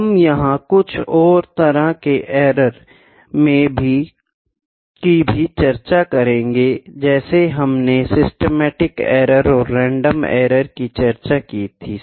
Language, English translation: Hindi, See the to major kinds of errors we will discuss upon on that as well, systematic error and random errors